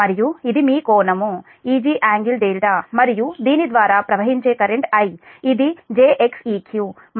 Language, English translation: Telugu, ah, this is your angle e g delta and current flowing through this is i, it's j x q and this is v, two angle zero